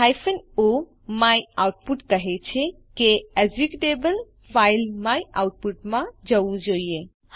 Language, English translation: Gujarati, o myoutput says that the executable should go to the file myoutput Now Press Enter